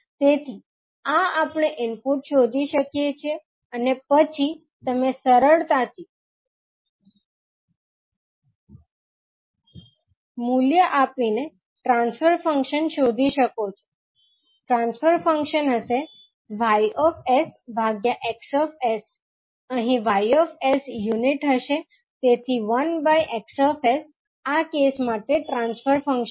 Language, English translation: Gujarati, So, this we can find out the input and then you can find out easily the transfer function by giving the value of, transfer function would be that a Y s upon X s again, here Y s would be unit so 1 upon X s would be the transfer function for this particular case